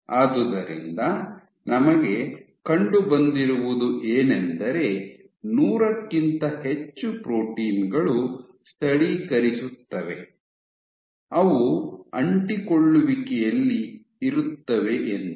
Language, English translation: Kannada, So, given that there are greater than 100 proteins which localizes, which are present at adhesions